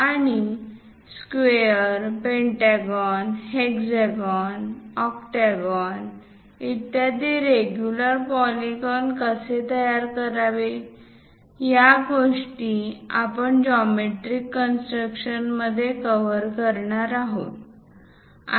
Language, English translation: Marathi, And how to construct regular polygons like square, pentagon, hexagon and so on octagon and so on things; these are the things what we are going to cover in geometric constructions